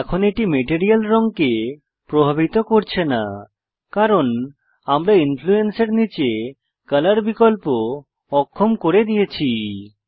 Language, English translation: Bengali, Right now it is not influencing the material color because remember we disabled the color option under Influence